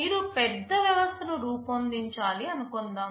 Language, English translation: Telugu, Suppose you have a large system to be designed